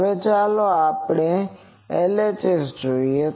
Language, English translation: Gujarati, Now, let us look at LHS